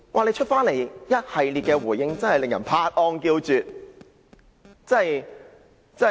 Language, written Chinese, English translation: Cantonese, 他隨後的一系列回應真的叫人拍案叫絕。, Worse still his subsequent series of responses have really got a resounding effect